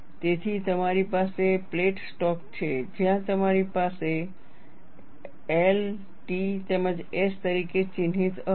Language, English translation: Gujarati, So, you have a plate stock, where you have the axis marked as L, T as well as S